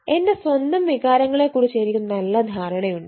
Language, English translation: Malayalam, i have a good understand of my own feelings